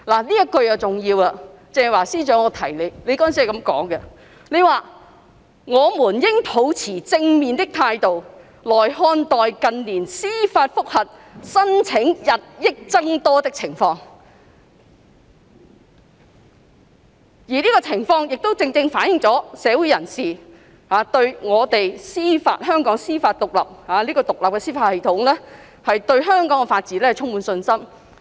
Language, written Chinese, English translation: Cantonese, "——這一句很重要，鄭若驊司長，你當時是這樣說的——"我們應抱持正面的態度來看待近年司法覆核申請日益增多的情況；而這情況亦正正反映了社會人士對我們獨立的司法系統，亦即對香港的法治充滿信心。, ―and here comes this very important sentence that Secretary Teresa CHENG you stated back then―[T]he increasing number of judicial review applications made to the Court of First Instance in recent years should be viewed in a positive light and that it is also a reflection of communitys confidence in our independent judicial system and in turn the rule of law in Hong Kong